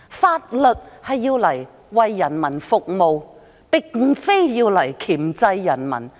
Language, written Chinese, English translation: Cantonese, 法律是用來為人民服務，並非箝制人民。, The law is to serve the people not to control the people